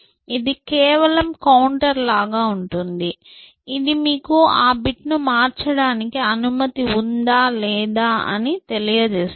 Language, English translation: Telugu, This is simply like a counter, which tells you whether you are allowed to change that bit or not